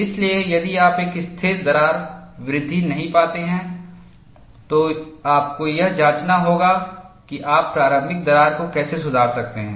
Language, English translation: Hindi, So, if you do not find a stable crack growth, you must go and investigate how you could improve the initial crack